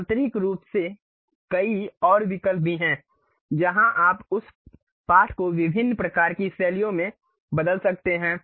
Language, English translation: Hindi, There are many more options also internally where you can change that text to different kind of styles